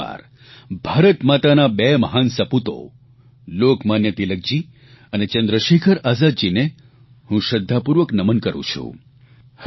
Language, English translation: Gujarati, Once again, I bow and pay tributes to the two great sons of Bharat Mata Lokmanya Tilakji and Chandrasekhar Azad ji